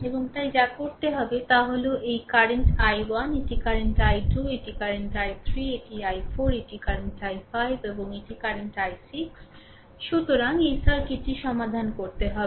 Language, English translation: Bengali, And therefore, what we have to do is, that look this is the current i 1 right this is current i 2 this is current i 3 this is i 4 this is current i 5 and this is current i 6 right so, you have to solve this circuit